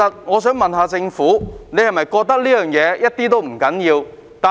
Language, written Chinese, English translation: Cantonese, 我想問政府是否認為這事一點也不重要？, May I ask the Government whether it considers the matter to be of no importance?